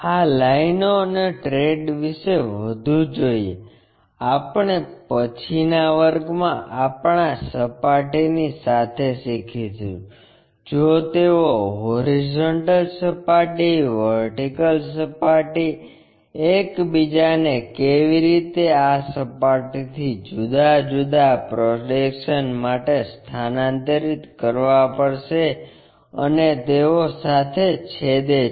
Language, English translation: Gujarati, More about traces and these lines, we will learn in the later classes along with our planes if they are going to intersectintersecting with these horizontal planes, vertical planes, how these planes we have to really transfer it for different projections